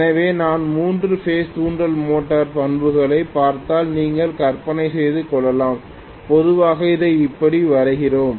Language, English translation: Tamil, So you can imagine if I look at the induction motor characteristics, three phase induction motor characteristics, normally we draw it like this, right